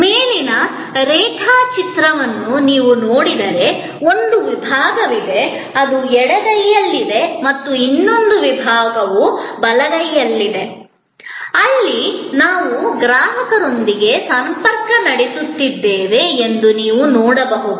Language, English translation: Kannada, If you look at the diagram that I am going to use next, you can see here that there is a section, which is on the left hand side and another section, which is on the right hand side, where we are interfacing with the customer